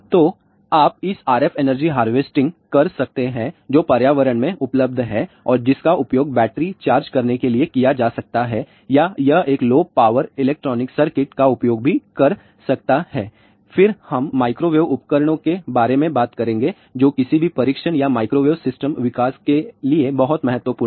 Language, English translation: Hindi, So, you can harvest this ah RF energy which is available in the environment and that can be used to charge a battery or it can even use a low power electronic circuits then we will talk about microwave equipment which are very very important for testing or developing any microwave system